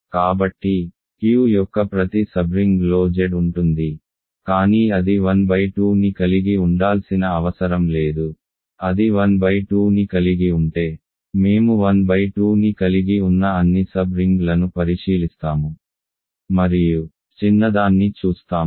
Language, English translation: Telugu, So, every sub ring of Q contains Z, but it did not contain it need not contain 1 by 2, if it contains 1 by 2 we look at all sub rings that contain 1 by 2 and look at the smallest one